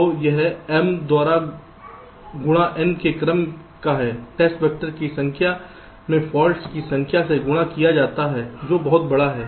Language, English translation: Hindi, so it is of the order of n multiplied by m, number of test vectors multiplied by number of faults, which is pretty large